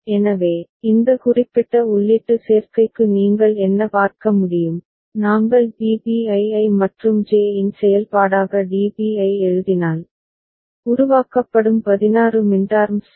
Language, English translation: Tamil, So, what you can see for this particular input combination, if we write DB as a function of Bn An I and J and the 16 minterms that are getting generated ok